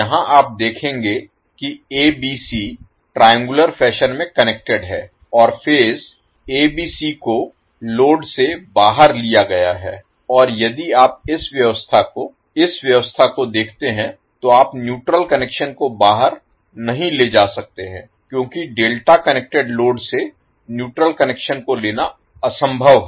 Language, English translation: Hindi, Here you will see ABC are connected in triangular fashion and your phase ABC is taken out from the load and if you see this particular arrangement in this particular arrangement you cannot take the neutral connection out because it is topologically impossible to take the neutral connection from the delta connected load